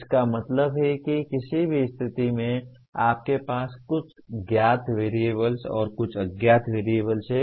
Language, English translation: Hindi, That means in any situation you have some known variables and some unknown variables